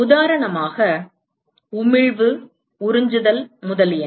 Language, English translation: Tamil, For example, emissivity, absorptivity, etcetera